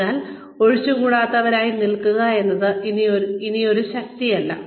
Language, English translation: Malayalam, So, being indispensable is no longer a strength